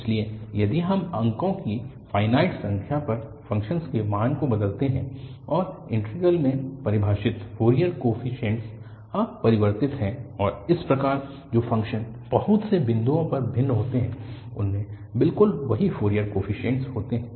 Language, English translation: Hindi, So, if we alter the value of the function at finite number of points and the integral defining Fourier coefficients are unchanged and thus the functions which differ at finitely many points, have exactly the same Fourier coefficients